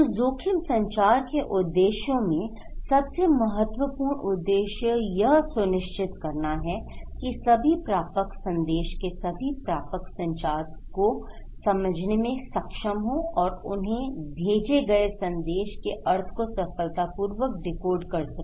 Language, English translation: Hindi, So, in case of objectives of the risk communication; one of the critical objective is to make sure that all receivers, all receivers of the message are able and capable of understanding and decoding the meaning of message sent to them